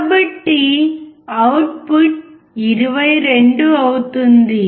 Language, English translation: Telugu, So output will be about 22